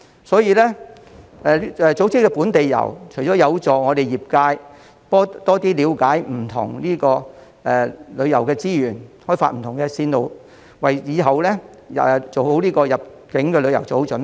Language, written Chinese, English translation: Cantonese, 所以，組織本地遊不但市民得益，亦有助業界增加了解香港不同的旅遊資源，開發不同的線路，為日後的入境旅遊做好準備。, So organizing local tours not only benefits the people but also the tourism industry because the latter can know more about the different tourism resources in Hong Kong and develop different tour routes so as to better prepare for the inbound tours in the future